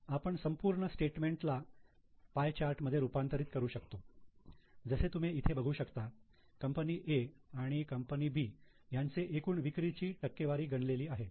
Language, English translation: Marathi, We can also convert the whole statement into a pie chart as you can see here for company A and B total sales as a percentage is calculated